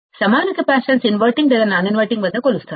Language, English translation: Telugu, The equivalent capacitance measured at either inverting or non inverting